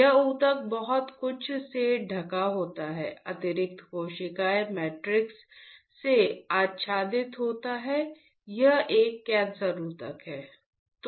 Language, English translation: Hindi, This tissue is covered with lot of what you call is covered with extra cellular matrix, this is a cancer tissue